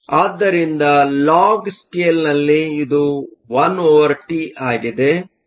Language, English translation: Kannada, So, on a log scale, this is 1 over T